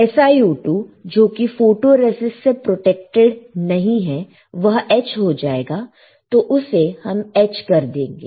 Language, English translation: Hindi, My SiO2 which is not protected by my photoresist will get etched, we will etched right easy